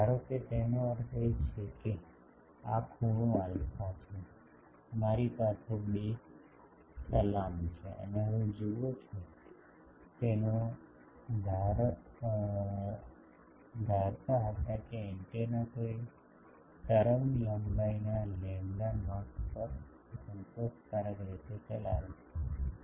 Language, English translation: Gujarati, Suppose his point was that this angle is alpha, I have two salutes and now there you see, his point was suppose an antenna is operates satisfactorily at a wavelength lambda not